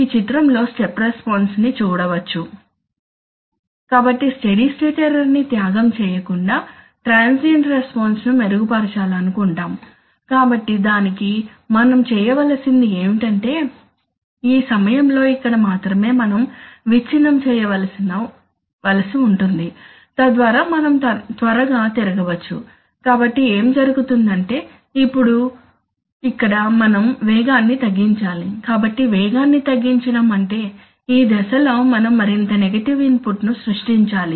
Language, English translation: Telugu, So we want to improve transient response without sacrificing the steady state error, so if you want to do that then what we have to do is that, around this point only here, we have to, we have to, we have to keep breaking, you know, we have to keep breaking and around this point, so that we can quickly turn, so what happens is that here now we have to you have to slow down, so slowing down means during this phase we have to create more negative input